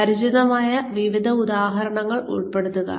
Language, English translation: Malayalam, Include a variety of familiar examples